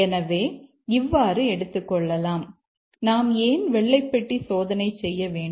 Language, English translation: Tamil, So, this is the justification why we need to do white box testing